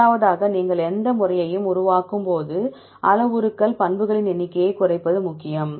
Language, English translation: Tamil, Secondly when you develop any method, it is important to reduce the number of parameters number of properties